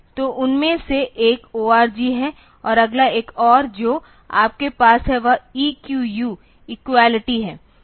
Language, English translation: Hindi, So, one of them is org and another one that you have is E QU equality